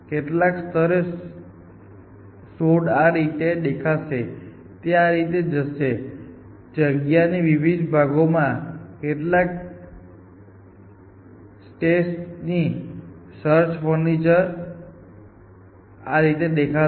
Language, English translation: Gujarati, At some level, the search frontier would look like; it would have gone some steps to this thing and some steps down at different parts of the space and search frontier look like